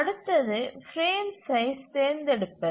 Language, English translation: Tamil, Now the next thing is to choose the frame size